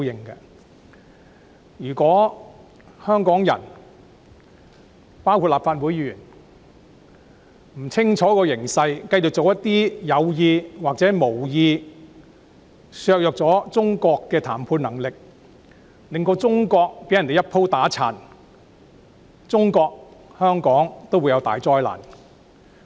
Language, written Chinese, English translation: Cantonese, 如果香港人——包括立法會議員——不看清楚形勢，繼續故意或無意地做一些削弱中國談判能力的事情，令中國被人"一鋪打殘"，中國和香港屆時都會陷入大災難。, If the people of Hong Kong―including Members of the Legislative Council―fail to grasp the big picture and keep doing things deliberately or unintentionally that undermine the bargaining position of China and result in China being trounced in one fell swoop a catastrophe would befall China and Hong Kong